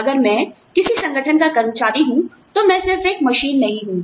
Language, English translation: Hindi, If I am an employee, of an organization, I am not just a machine